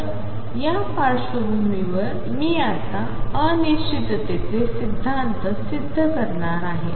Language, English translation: Marathi, So, with this background I am now going to prove the uncertainty principle